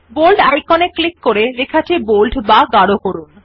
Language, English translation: Bengali, Now click on the Bold icon to make the text bold